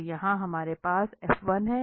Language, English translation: Hindi, So, here we have F1